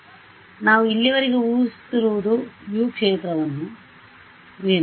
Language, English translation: Kannada, So, what we assume so far was that the field U is what